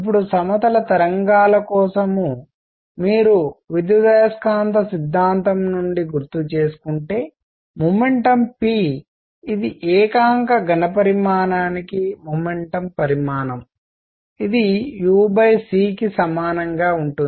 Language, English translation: Telugu, Now for plane waves, if you recall from electromagnetic theory momentum p which is momentum content per unit volume is same as u over c